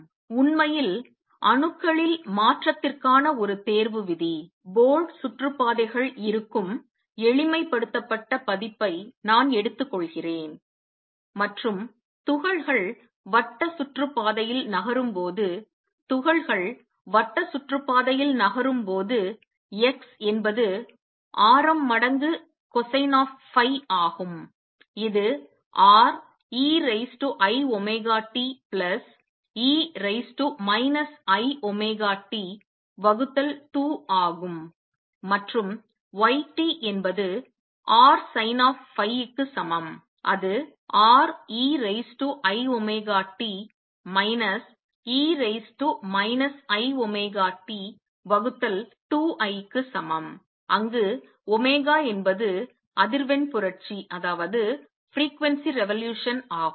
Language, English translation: Tamil, In fact, one selection rule for transition in atoms; in atoms I take the simplified version where the board orbits are there and particles are moving in circular orbits when the particles are moving in a circular orbits, x is the radius times cosine of phi which is R e raise to i omega t plus e raise to minus I omega t divided by 2 and y t is equal to R sin of phi which is equal to R e raise to i omega t minus e raise to minus i omega t divided by 2 i where omega is the frequency revolution